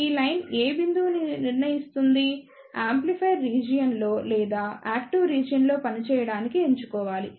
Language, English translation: Telugu, This line decides which point, one should choose to operate in the amplifier region or in active region